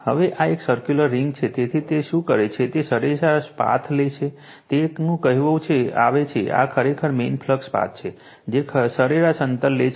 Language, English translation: Gujarati, Now, this is a circular ring so, what we will do is we will take your what you call that you are mean path, this is actually mean flux path, we will take the mean distance right